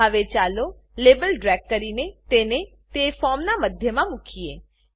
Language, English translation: Gujarati, Now let us drag the label to center it on the form